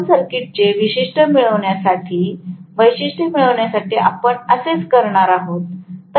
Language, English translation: Marathi, So, we are going to do the same thing for getting the open circuit characteristic